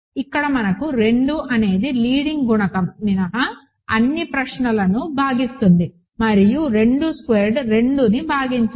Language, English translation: Telugu, Here we have that, 2 divides all the questions except the leading coefficient and 2 square does not divide 2